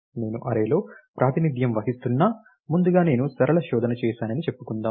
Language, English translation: Telugu, Or even if I am representing in an array, first let us say I did simply linear search